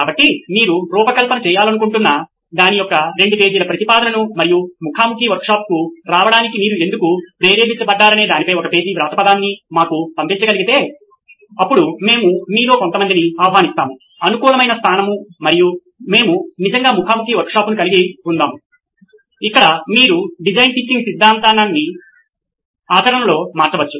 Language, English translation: Telugu, So if you can send us a 2 page proposal of something that you would like to design and a one page write up on why you are motivated to come to a face to face workshop then we will invite some of you over to a convenient location and we will actually have a face to face workshop where you can actually turn design thinking theory into practice